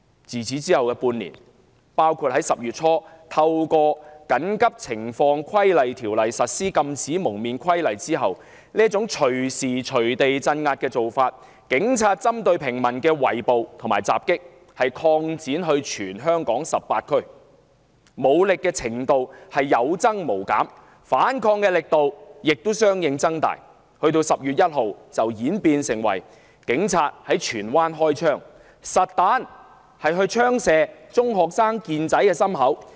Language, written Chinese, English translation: Cantonese, 在此後的半年，特別在香港政府於10月初引用《緊急情況規例條例》實施《禁止蒙面規例》後，警方這類隨意鎮壓、針對平民的圍捕和襲擊擴展至全香港18區，武力程度不斷升級，反抗力度亦相應增強，終於演變成10月1日警員在荃灣開槍，實彈槍擊中學生健仔胸口的事件。, In the ensuing six months particularly after the enactment of the Prohibition on Face Covering Regulation under the Emergency Regulations Ordinance by the Hong Kong Government in early October such arbitrary crackdowns as well as round - ups and attacks targeting ordinary citizens perpetrated by the Police were extended to all 18 districts in Hong Kong . As the level of force used by the Police increased so did the strength of resistance . That culminated in the shooting incident in Tsuen Wan on 1 October where TSANG Chi - kin a secondary school student was shot in the chest with a live round fired by a police officer